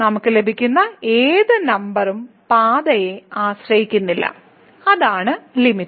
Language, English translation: Malayalam, So, then whatever number we get that does not depend on the path and that will be the limit